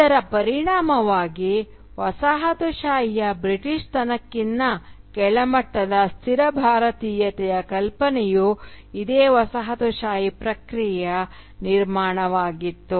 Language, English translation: Kannada, Consequently the idea of a static Indianness, which is inferior to the Britishness of the coloniser, was also a construction of this same colonial process